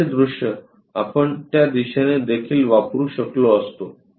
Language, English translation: Marathi, The front view we could have used in that direction also